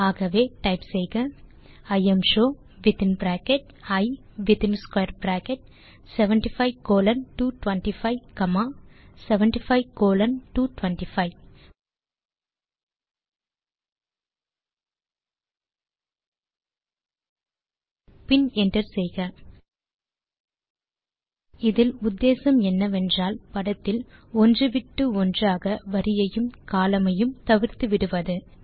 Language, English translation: Tamil, So type imshow within bracket I and in square bracket 75 colon 225 comma 75 colon 225 and hit enter The idea is to drop alternate rows and columns of the image and save it